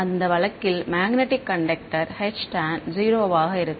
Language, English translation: Tamil, Magnetic conductor in that case H tan will be 0